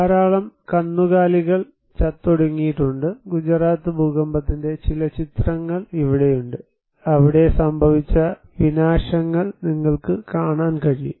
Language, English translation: Malayalam, There are also lots of cattle dead, here are some of the picture of Gujarat earthquake, you can see the devastations that happened there